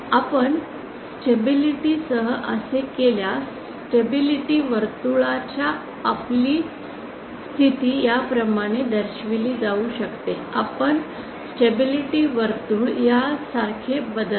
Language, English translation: Marathi, If we do that our stability our position of the stability circle it can be shown at the position of our stability circle shifts like this